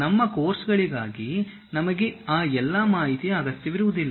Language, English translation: Kannada, For our course, we may not require all that information